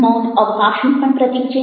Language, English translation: Gujarati, silence is also symbolic of space